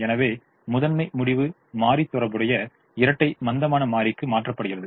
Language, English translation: Tamil, so primal decision variable is mapped to the corresponding dual slack variable